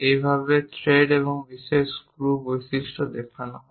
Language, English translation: Bengali, This is the way ah threads and special screw features we will show it